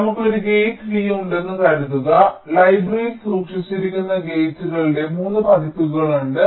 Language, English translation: Malayalam, suppose we have a gate v and there are three versions of the gates which are stored in the library